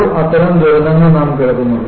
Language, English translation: Malayalam, Now, we hear such disasters